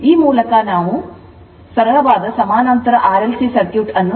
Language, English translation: Kannada, So, now parallel next is the parallel resonance that is pure RLC circuit